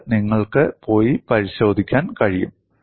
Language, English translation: Malayalam, This you can go and verify